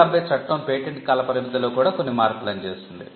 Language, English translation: Telugu, The 1970 act also made some substantial teen changes on the term of the patent